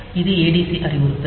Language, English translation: Tamil, So, this adc is instruction